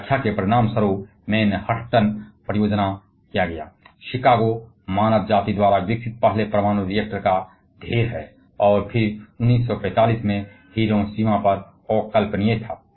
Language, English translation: Hindi, And the result of their interpretation led to the Manhattan project, then Chicago pile one the first ever nuclear reactor developed by mankind, and then the unmentionable at the Hiroshima in 1945